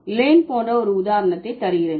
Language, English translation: Tamil, So, let's let me give you an example like LAN